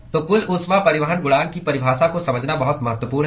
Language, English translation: Hindi, So, it is very important to understand the definition of overall heat transport coefficient